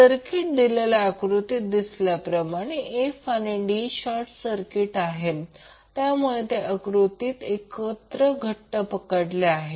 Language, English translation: Marathi, The circuit will look like now as you can see in the figure f and d are short circuited so they are clubbed together in the particular figure